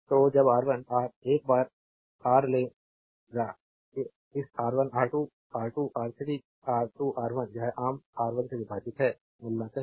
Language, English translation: Hindi, So, when you take R 1 R once Ra, Ra should be get this R 1 R 2 R 2 R 3 R 3 R 1 this is common divided by R 1